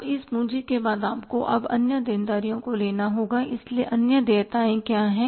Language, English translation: Hindi, Now after this capital you have to take now the other liabilities